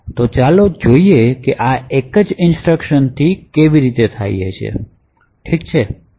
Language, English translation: Gujarati, So, let us see how this happens with a single instruction, okay